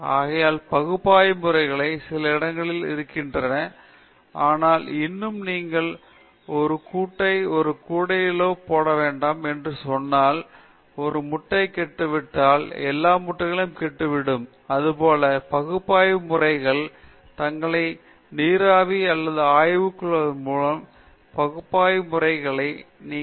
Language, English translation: Tamil, Therefore, analytical methods have some place, but still you cannot, I mean, just as they say you should not put all your eggs in one basket, then if one egg is spoilt, all the eggs will get spoilt; similarly, you cannot invest your whole career on analytical method because the area analytical methods may themselves vaporize or evaporate